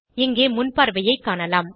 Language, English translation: Tamil, Here we can see the Preview